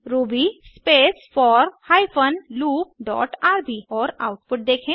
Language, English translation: Hindi, Execute ruby space for hyphen loop dot rb in your terminal see the output